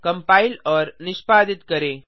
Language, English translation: Hindi, Let us compile and execute